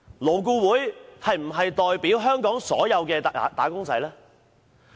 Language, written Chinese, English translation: Cantonese, 勞顧會真的代表香港所有"打工仔"嗎？, Does LAB really represent all wage earners in Hong Kong?